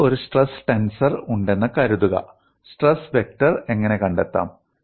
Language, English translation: Malayalam, Suppose I have a stress tensor, how to find out the stress vector